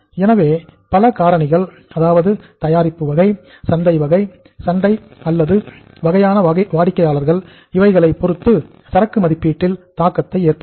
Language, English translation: Tamil, So different factors like the type of the product we are in, type of the market we are in, type of the customers the firm is serving, all these factors impact the inventory valuation